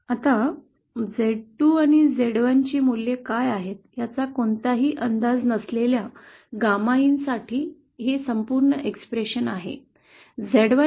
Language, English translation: Marathi, Now this is of course the complete expression for gamma in with no assumptions with what the values of z2 & z1 are